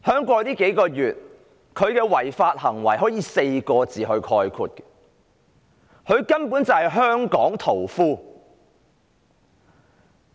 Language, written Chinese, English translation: Cantonese, 過去數月，她的違法行為可以用4個字概括，她根本就是"香港屠夫"。, The appellation Hong Kong butcher would be apt on her in encapsulating the lawbreaking acts done by her in the last few months